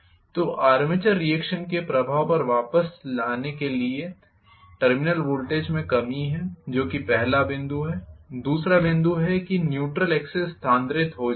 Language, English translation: Hindi, So, to come back to the effect of armature reaction there is the reduction in the terminal voltage that is the first point the second one is neutral axis gets shifted